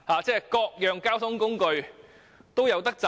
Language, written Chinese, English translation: Cantonese, 這樣各種交通工具都能夠有錢賺。, If so various public transport trades can indeed make profits